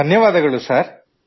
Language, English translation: Kannada, Thank you, Thank You Sir